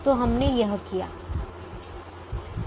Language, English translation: Hindi, so we have done this